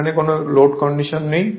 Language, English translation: Bengali, Now this is on no load condition